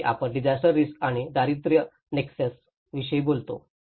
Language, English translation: Marathi, And where we talked about the disaster risk and poverty nexus